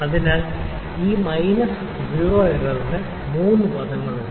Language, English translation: Malayalam, So, this minus zero error there are three terms